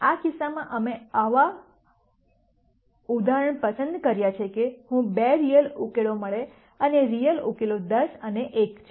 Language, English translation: Gujarati, In this case we have chosen this example in such a manner that I get two real solutions and the real solutions are 10 and 1